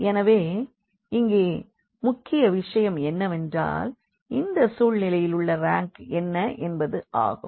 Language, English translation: Tamil, So, the point here is now the rank in this situation what is the rank of A